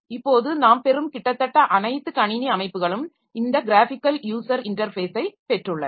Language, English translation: Tamil, So, now almost all the computer systems that we are getting, so they have got this graphical user interface